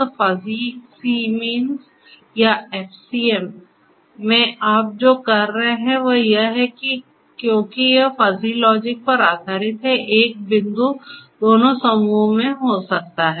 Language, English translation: Hindi, So, in Fuzzy c means or FCM, so, what you are doing is that you may have you know because it is based on fuzzy logic one point can belong to both the clusters